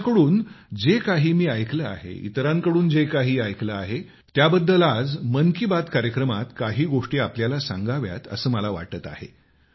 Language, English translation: Marathi, What I have heard from them and whatever I have heard from others, I feel that today in Mann Ki Baat, I must tell you some things about those farmers